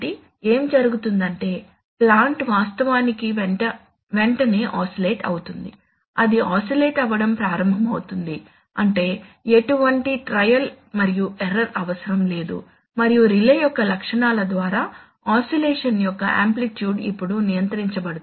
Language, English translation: Telugu, So what will happen is that the plant will actually oscillate immediately it will start oscillating that is, there will be no trial and error needed and the amplitude of oscillation can, can now be controlled by the properties of the relay